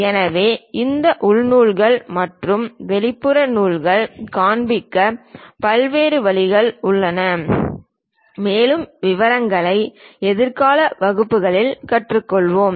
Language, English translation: Tamil, So, there are different ways of showing these internal threads and external threads, more details we will learn in the future classes about that